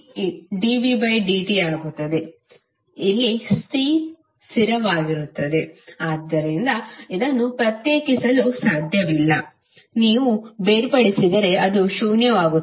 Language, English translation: Kannada, C is a constant, so they cannot differentiate, if you differentiate it will become zero